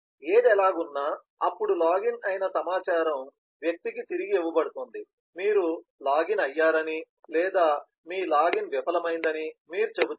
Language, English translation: Telugu, whichever comes across, then based on that the logged in information is given back to the person, you either say that you are logged in or you will say that your login has failed